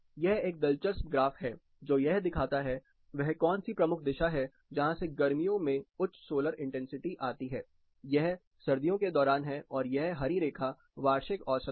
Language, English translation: Hindi, This is an interesting graph which shows that which is a major direction from which higher solar intensity comes during summer, this is during winter and the green one is an a annual average